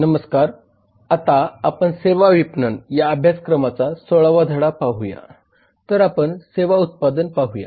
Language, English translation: Marathi, hello there now we come to lesson 16 of the course on services marketing now we look at the services product